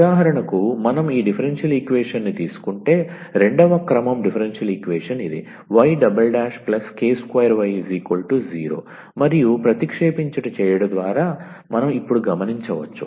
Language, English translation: Telugu, So, for example, if we take this differential equation the second order differential equation y double prime plus k square y is equal to 0 and we can observe now by substituting